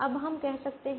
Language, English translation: Hindi, we can do that